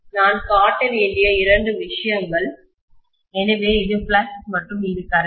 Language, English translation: Tamil, Two things I have to show, so this is flux and this is current